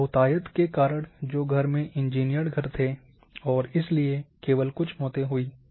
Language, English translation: Hindi, Because of majority of houses where engineered houses and therefore there were only few deaths